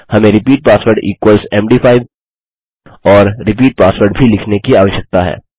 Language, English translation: Hindi, We also need to say repeat password equals md5 and repeat password